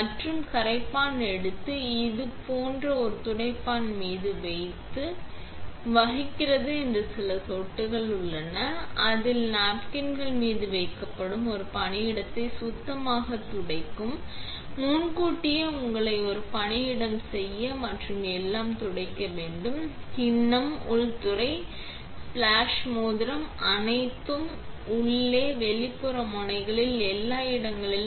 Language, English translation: Tamil, And take the solvent, put it on a napkin like this, make sure if there are some drops that plays, its placed on napkins, make a workspace for yourself in advance with clean napkins and then wipe everything; the bowl, the inlay, the splash ring, all the chucks, inside outside nozzles, everywhere